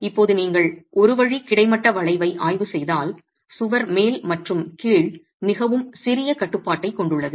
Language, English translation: Tamil, If now you were to examine one way horizontal bending that the wall has very little restraint at the top and the bottom